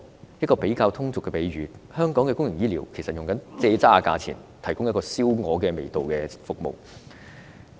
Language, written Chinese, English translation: Cantonese, 用一個比較通俗的比喻，香港公營醫療其實是以"庶渣"價錢，提供燒鵝味道的服務。, Let me use a colloquial analogy to describe public health care services in Hong Kong and that is the public get a roast goose by paying the price of sugar cane fibre